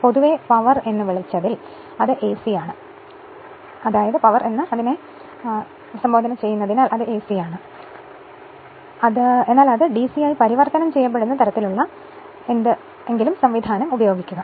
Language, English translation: Malayalam, So, in your what you called generally the power it is AC, but we use some kind of mechanism such that it will your what you call it will be converted to DC right